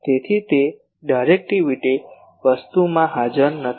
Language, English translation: Gujarati, So, that is not present in the directivity thing